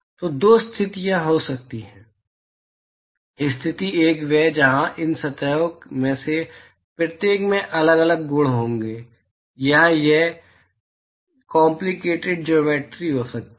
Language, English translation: Hindi, So, there can be two situations; situation one is where each of these surfaces will have different properties or it could be a complicated geometry